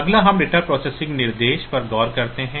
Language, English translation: Hindi, Next we look into data processing instructions there are several data processing instructions